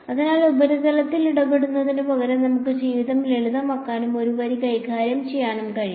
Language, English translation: Malayalam, So, instead of dealing with the surface we can make life simpler and just deal with a line